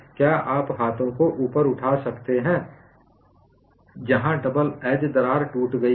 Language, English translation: Hindi, Can you raise the hands where the double edge crack has broken